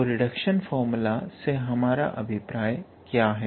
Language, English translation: Hindi, So, what do we mean by reduction formula actually